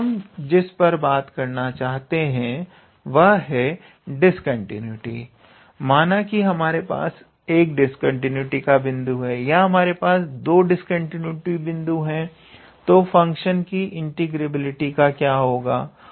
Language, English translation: Hindi, Now, what I am talking about is with this discontinuity part that let us say, you have one point of discontinuity or if you have two points of discontinuity, then what will happen to the remain integrability of the function